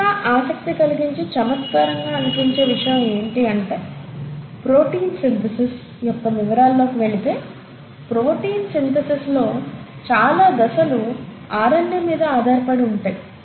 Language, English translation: Telugu, What is even more interesting and intriguing is to note that as we go into the details of protein synthesis, multiple steps in protein synthesis are dependent on RNA